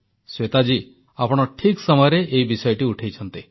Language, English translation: Odia, Shveta ji, you have raised this issue at an opportune time